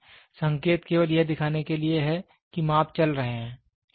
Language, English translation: Hindi, So, indicating is just to show what is the measurements going on